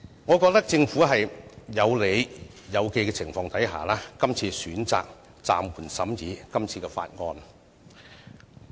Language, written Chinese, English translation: Cantonese, 我覺得政府是在有理有據的情況下，選擇暫緩審議這項法案。, I think the Government is well justified to suspend the scrutiny of this bill